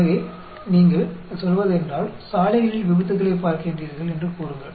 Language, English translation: Tamil, So, if you are looking at, say accidents on the roads